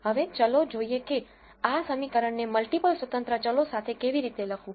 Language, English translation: Gujarati, Now let us see how to write this equation with multiple independent variables